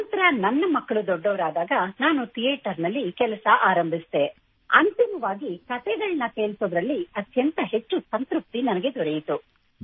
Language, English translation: Kannada, Once my children grew up, I started working in theatre and finally, felt most satisfied in storytelling